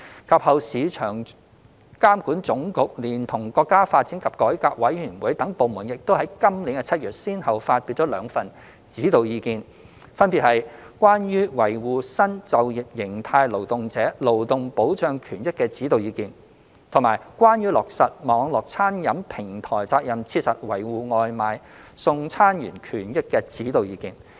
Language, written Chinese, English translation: Cantonese, 及後，市場監管總局連同國家發展和改革委員會等部門，亦於今年7月先後發表兩份《指導意見》，分別為《關於維護新就業形態勞動者勞動保障權益的指導意見》及《關於落實網絡餐飲平台責任切實維護外賣送餐員權益的指導意見》。, Subsequently the State Administration for Market Regulation together with the National Development and Reform Commission and other departments issued two Guiding Opinions in July this year namely the Guiding Opinions on Safeguarding the Employment Rights and Interests of Workers in New Employment Forms and the Guiding Opinions on Fulfilling the Responsibility of Online Catering Platforms to Effectively Safeguard the Rights and Interests of Takeaway Delivery Workers